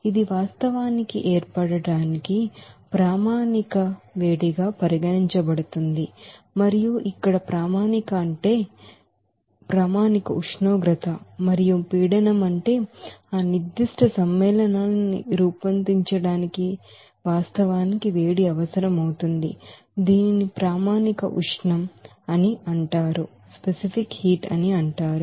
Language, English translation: Telugu, Now that will be actually regarded as standard heat of formation and here standard means that is at a you know standard temperature and pressure what will be the heat is actually required to form that particular compound it is called standard heat of formation